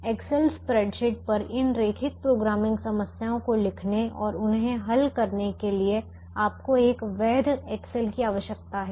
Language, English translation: Hindi, you need a valid excel to write these linear programming problems on the excel spreadsheets and two solve them